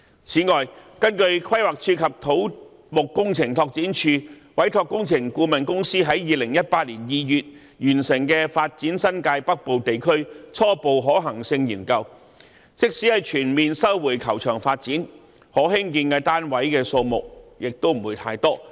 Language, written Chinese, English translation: Cantonese, 此外，根據規劃署及土木工程拓展署委託工程顧問公司在2018年2月完成的《發展新界北部地區初步可行性研究》，即使全面收回高爾夫球場發展，可興建的單位數目不會太多。, Besides according to the Preliminary Feasibility Study on Developing the New Territories North completed in February 2018 by the project consultant commissioned by the Planning Department and the Civil Engineering and Development Department even if the whole golf course is resumed for development the number of housing units which can be constructed will not be large